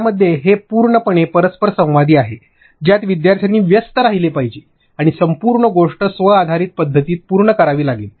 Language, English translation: Marathi, In that, it is completely interactive learners have to engage with it and complete the entire thing in a self based mode